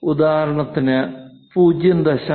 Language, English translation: Malayalam, If it is 0